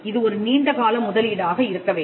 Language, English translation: Tamil, So, it has to be a long term investment